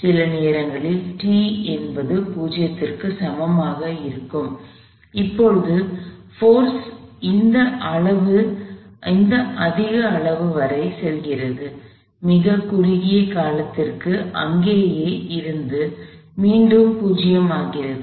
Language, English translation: Tamil, At some time t equal to 0, the force goes up to this higher magnitude; remains there for a very short span of time and becomes 0 again